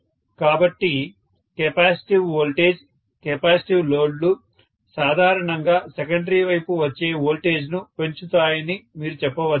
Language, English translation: Telugu, So, you can say that capacitive voltage, capacitive loads normally increase the voltage that comes out on the secondary side